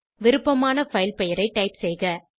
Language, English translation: Tamil, Type the file name of your choice